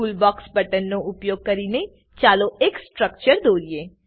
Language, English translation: Gujarati, Lets now draw structures using Toolbox buttons